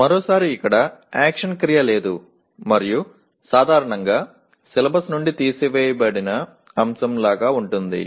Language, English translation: Telugu, Once again, it is a no action verb and generally sounds like topic pulled out of the syllabus